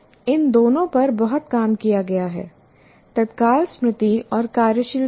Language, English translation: Hindi, There is a tremendous amount of work that has been done on these two immediate memory and working memory